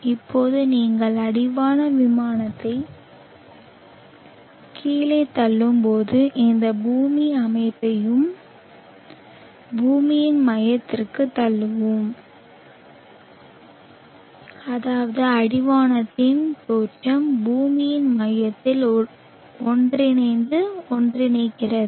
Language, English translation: Tamil, Now we will push this whole system down to the center of the earth when you push the horizon plane down such that the horizon origins met and merge at the center of the earth